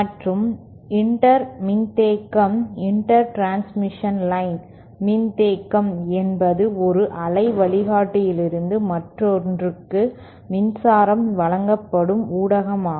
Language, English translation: Tamil, And Inter capacitance, the inter transmission line capacitance is the way in which the is the media through which the power is delivered from one waveguide to another